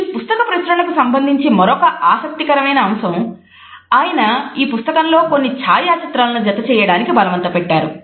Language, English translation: Telugu, Another interesting aspect which is related with the publication of this book is the fact that he had insisted on putting certain photographs in the book